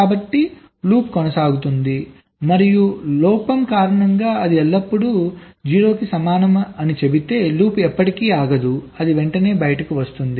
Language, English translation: Telugu, and if due to a fault, if it says that that it is always equal to zero, then the loop will never go, it will just immediately come out right